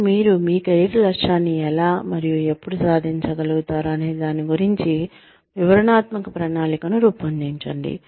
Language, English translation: Telugu, But, make a detailed plan of, how and when, you will be able to, achieve your career objective